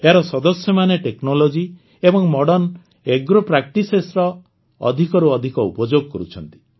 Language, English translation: Odia, Its members are making maximum use of technology and Modern Agro Practices